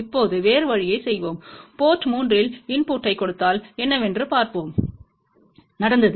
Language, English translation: Tamil, Now let us just do other way round now, suppose if we give a input at port 3 let us see what happened